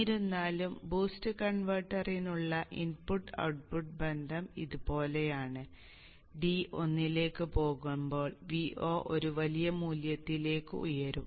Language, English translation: Malayalam, So however the input output relationship for the boost converter is like this and at D tending to 1 v0 will shoot up to a large value